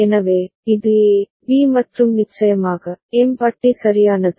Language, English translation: Tamil, So, this is A, B and of course, M bar is there with it right